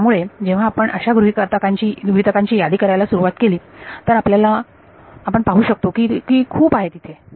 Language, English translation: Marathi, So, when we began to list out the assumptions we can see that there are so many over here right all right